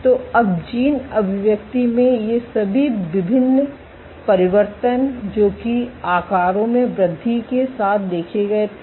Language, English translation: Hindi, So, now all these differential changes in gene expression that were observed with increase in sizes